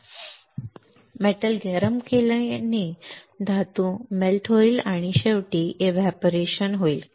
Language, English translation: Marathi, Heating the metal will cause it the metal to melt and finally, evaporate